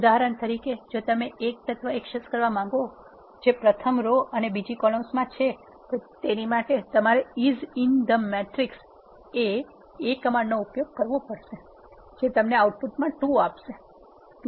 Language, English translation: Gujarati, For example if you want to access this element it is in the first row and the second column the command you need to use is in the matrix A fetch the element which is in the first row and in the second column that will give you the output 2